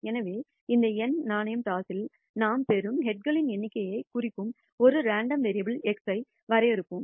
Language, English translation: Tamil, So, let us define a random variable x that represents the number of heads that we obtain in these n coin tosses